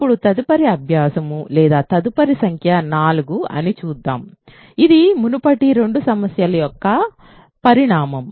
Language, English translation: Telugu, So now, the next exercise or next let us see number will be 4, is a corollary of the previous two problems